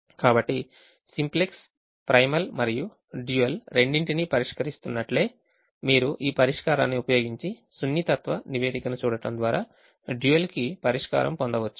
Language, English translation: Telugu, so just as the simplex solves both the primal and the dual, you can use this solver to get the solution to the dual also by looking at the sensitivity report